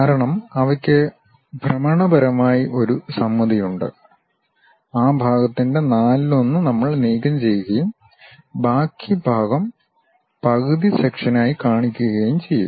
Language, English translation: Malayalam, Because, they have rotationally symmetric thing, some one quarter of that portion we will remove it and show the remaining part by half sections